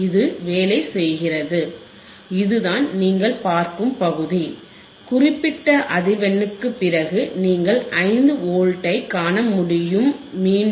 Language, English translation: Tamil, It is working, this is the area that you are looking at, this is the area you are looking at and after certain frequency you will be able to see 5 Volts again